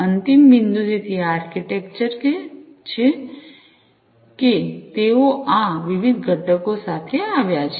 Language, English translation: Gujarati, So, this is this architecture that they have come up with these different components